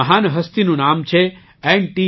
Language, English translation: Gujarati, The name of this great personality is N